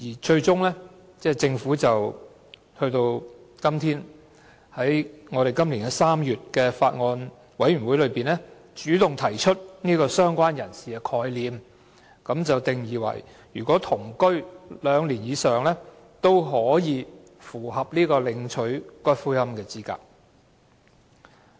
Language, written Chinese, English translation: Cantonese, 最終，政府於今年3月的法案委員會會議上，主動提出"相關人士"的概念，介定與死者同居兩年或以上的人，也符合領取死者骨灰的資格。, Eventually at the meeting of the Bills Committee held in March this year the Government initiated the concept of related person defining that a person who had been living with the deceased person in the same household for two years or more will also be eligible for claiming for the return the ashes of a deceased person